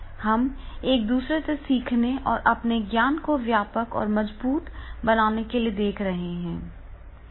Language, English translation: Hindi, We are looking for the learning from each other and making these our knowledge base wider and strong